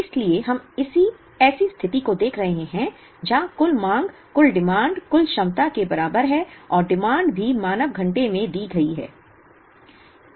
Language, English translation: Hindi, So, we are looking at a situation where, the total demand is equal to the total capacity and demand is also given in man hours